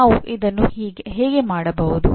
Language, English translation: Kannada, Now how do we do this